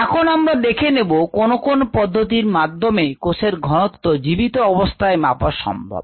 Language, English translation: Bengali, now let us look at the methods for measuring the concentration of cells that are live, that are viable